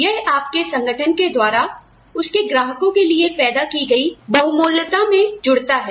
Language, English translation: Hindi, That adds to the value, your organization generates for its clients, that brings in more revenue